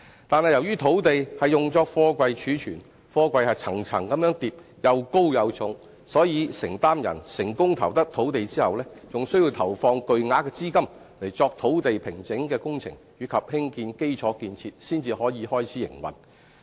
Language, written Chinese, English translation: Cantonese, 但是，由於土地是用作貨櫃貯存，貨櫃層層疊，又高又重，所以承租人成功投得用地後，還需要投放巨額資金作土地平整的工程及興建基礎建設才可開始營運。, But since such lands are to be used for storing high stacks of heavy containers the successful bidder must still spend huge sums on land formation and constructing the necessary infrastructure facilities before the start of operation